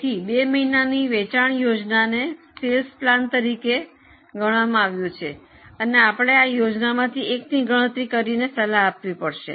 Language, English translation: Gujarati, So, these two months are treated as two sales plans and then we have to calculate which plant do you recommend